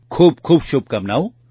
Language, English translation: Gujarati, Many best wishes